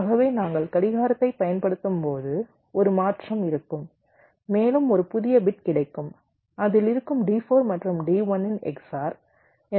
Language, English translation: Tamil, so as we apply clock, there will be a shifting and a new bit will be getting in which will be the x or of d, four and d one